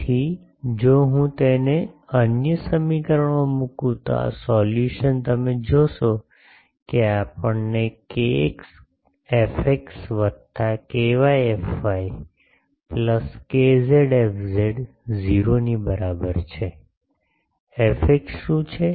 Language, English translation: Gujarati, So, if I put it in the other equation this solution you will see that we get k x f x plus k y f y plus k z f z is equal to 0, where what is k, that sorry what is f x